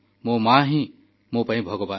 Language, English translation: Odia, My mother is God to me